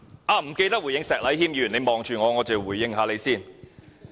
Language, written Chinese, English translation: Cantonese, 我忘了回應石禮謙議員，他看着我，我且回應一下他。, I have forgotten to respond to Mr Abraham SHEK who is looking at me . I will respond to him